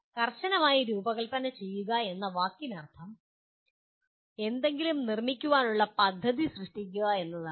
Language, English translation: Malayalam, Design strictly the word means creating a plan to make something